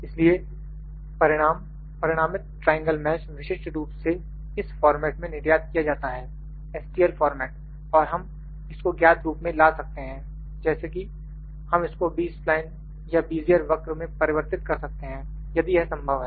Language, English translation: Hindi, So, the resulting triangle mesh is typically exported in this format, stl format and we can bought into the known form like, we can converted into the Bezier scan or Bezier curve if it is possible